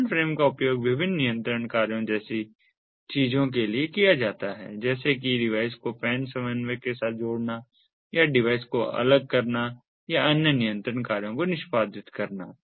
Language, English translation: Hindi, the command frame is used for things such as different control functions, such as associating a device with a pan coordinator or disassociating a device or performing different other control functions